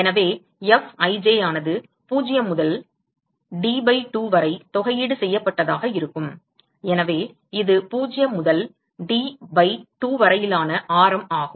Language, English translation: Tamil, So, it will be Fij will be integral 0 to D by 2, so, that is the radius from 0 to D by 2